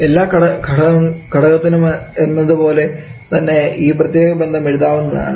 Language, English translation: Malayalam, Like for every component the this particular ration can be written